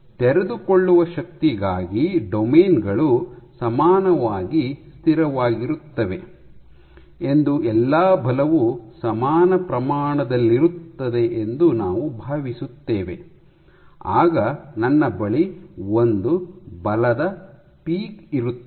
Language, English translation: Kannada, So, for the unfolding force because we assume that all the forces were of equal magnitude that the domains are equally stable, I will get a single force peak